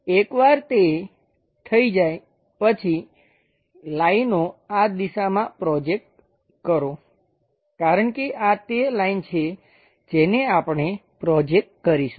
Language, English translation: Gujarati, Once that is done, project lines in this direction to construct because this is the line what we are going to project it